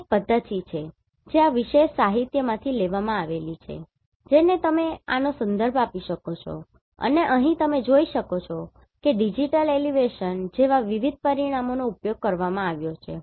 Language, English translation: Gujarati, So, this is one methodology which is taken from this particular literature you can refer this and here you can see different parameters have been used like digital elevation